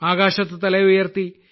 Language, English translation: Malayalam, Raise your head high